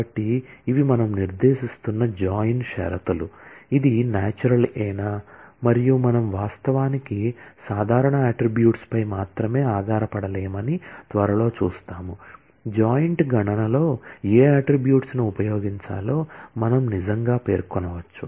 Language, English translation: Telugu, So, these are the join conditions that we are specifying, whether it is natural and we will soon see that we can actually not depend only on the attributes that are common, we can actually specify that which attributes should be used in computing the joint